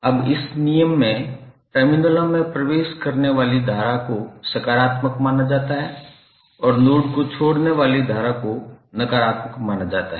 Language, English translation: Hindi, Now this, in this law current entering the terminals are regarded as positive and the current which are leaving the node are considered to be negative